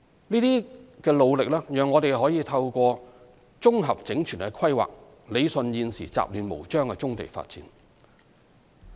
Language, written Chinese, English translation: Cantonese, 這些努力讓我們可透過綜合整全的規劃，理順現時雜亂無章的棕地發展。, With such effort we are able to rationalize the existing haphazard development of brownfield sites through comprehensive and holistic planning